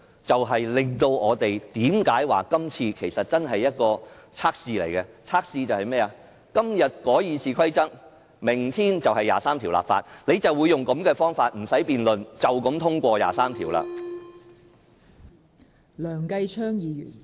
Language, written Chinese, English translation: Cantonese, 這正是我們說這次是一項測試的原因，要測試的是"今日改《議事規則》，明天23條立法"，日後他們亦將以同樣的方法，不用辯論便通過《基本法》第二十三條。, This is exactly why we have said that Amending the Rules of Procedure today legislating for Article 23 tomorrow . In the future they will apply the same method to legislate for Article 23 of the Basic Law without having to conduct debates